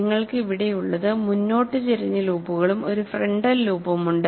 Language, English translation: Malayalam, And what you have here is, you have forward tilted loops as well as a frontal loop